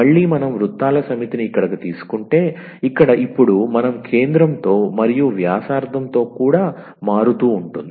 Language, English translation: Telugu, Again the set of the circles if we take here, here now we are also varying with the centre and as well as the radius